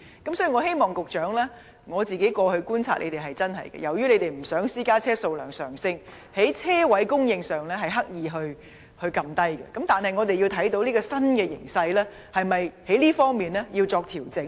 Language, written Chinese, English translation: Cantonese, 局長，我過去的觀察是，由於政府不想私家車數量上升，因此刻意減少車位的供應，但鑒於現時這種新形勢，這方面是否要作調整呢？, Secretary according to my observations the Government has deliberately reduced the supply of parking spaces to impede the increasing number of private vehicles but given the new trend mentioned above should adjustment be made in this respect?